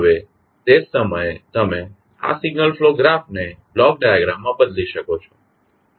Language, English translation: Gujarati, Now, at the same time you can transform this signal flow graph into block diagram